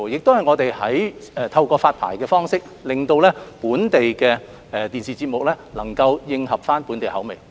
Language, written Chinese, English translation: Cantonese, 此外，我們亦透過發牌方式令本地電視節目能夠迎合本地口味。, Moreover through the licensing regime we are able to ensure that the local TV programmes produced suit the taste of local TV viewers